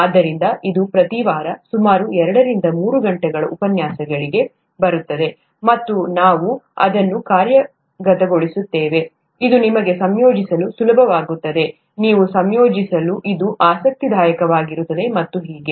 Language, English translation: Kannada, So that comes to about two to three hours of lectures each week, and we will work it out such that it is easy for you to assimilate, it’ll be interesting for you to assimilate and so on